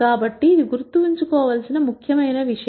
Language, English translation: Telugu, So, this is something important to bear in mind